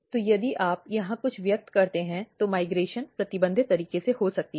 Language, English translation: Hindi, So, if you express something here, the migration can occur in a restricted manner